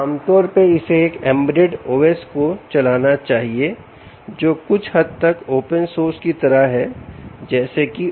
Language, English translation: Hindi, it should run an embedded o s, typically something like open source ubuntu